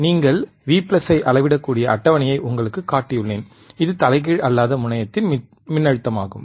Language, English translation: Tamil, I have shown you the table where you can measure V plus, which is voltage at and non inverting non inverting terminal,